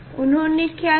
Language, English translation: Hindi, what he has done